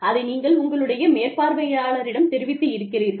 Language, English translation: Tamil, You have spoken to your supervisor